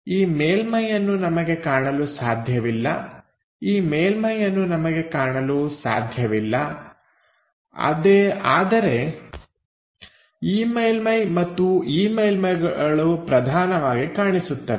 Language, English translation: Kannada, This surface we cannot visualize, this surface we cannot visualize; however, this surface and that surface predominantly visible